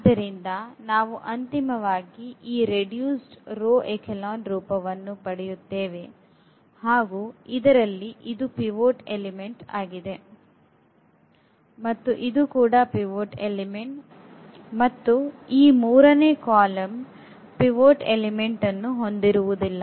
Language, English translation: Kannada, So, we will get finally, this row reduced echelon form and where now we have this is the pivot element and this is the pivot element and this third column will not have a pivot element